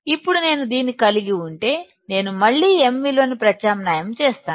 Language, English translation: Telugu, Now, once I have this, I will again substitute value of m